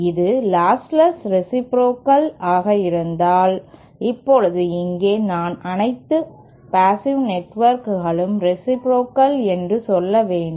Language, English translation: Tamil, If it is lostless as well in addition to being reciprocal, now here I must say something that all passive networks are reciprocal